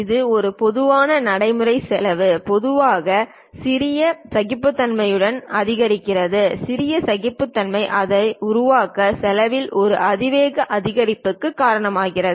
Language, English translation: Tamil, Its a common practice cost generally increases with smaller tolerances small tolerances cause an exponential increase in cost to make it